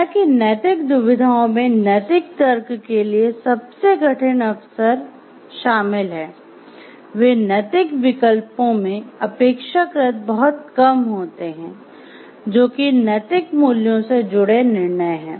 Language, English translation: Hindi, So, yet although moral dilemmas currents comprise the most difficult occasions for moral reasoning, they constitute a relatively small percentage of moral choices, that is decisions involving the moral values